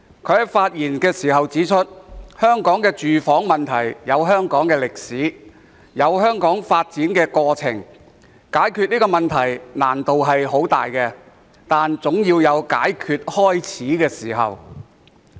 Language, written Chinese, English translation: Cantonese, 他指出，香港的住房問題有其歷史和發展過程，解決這個問題的難度很大，但總要有開始解決的時候。, As he has pointed out the housing problem in Hong Kong is related to its history and development and although there are great difficulties in solving the problem we still have to grab it by the horns